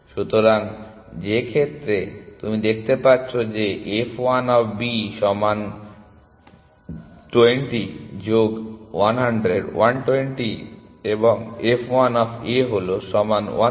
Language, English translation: Bengali, So, in which case as you can see f 1 of B equal to 20 plus 100 120 and f 1 of A is equal to 130